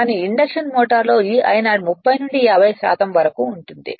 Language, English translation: Telugu, But in induction motor it will be maybe 30 to 50 percent this I 0